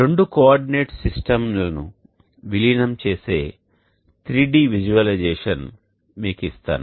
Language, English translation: Telugu, Let me give you a 3D visualization of merging the two coordinates systems such that they both have the same origins